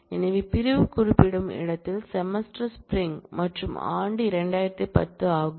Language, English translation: Tamil, So, the where clause specifies, that the semester is spring and the year is 2010